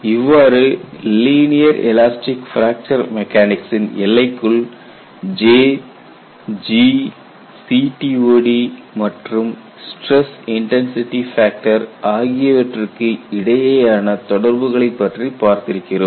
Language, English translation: Tamil, So, within the confines of linear elastic fracture mechanics although we have seen parameters like J, G, CTOD and stress intensity factor they are all interrelated